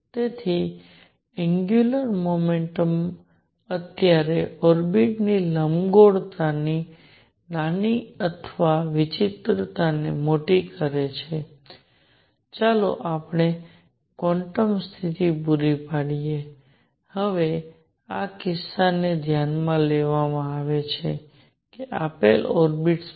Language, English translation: Gujarati, So, smaller the angular momentum larger the ellipticity or eccentricity of the orbit right now let us supply quantum condition, now in this case is notice that for a given orbit